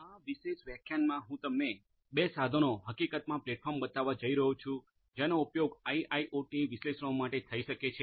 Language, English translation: Gujarati, In this particular lecture, I am going to show you two tools platforms in fact, which could be used for IIoT analytics